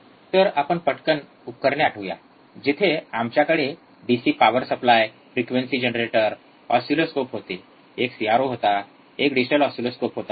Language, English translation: Marathi, So, just quickly let us recall the equipment where DC power supply, frequency generator, we had oscilloscopes, one was CRO, one was digital oscilloscope